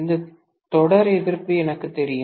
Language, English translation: Tamil, And this series resistance is known to me